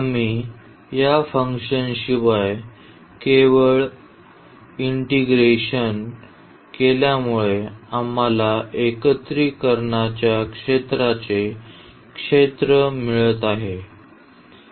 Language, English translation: Marathi, And, just integrating without this function we were getting the area of the domain of integrations